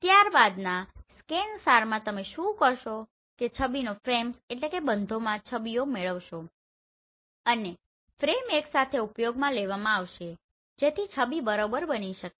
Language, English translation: Gujarati, In the next one here is ScanSAR what you will do you will acquire the images in frames and the frames will be used together to generate the image right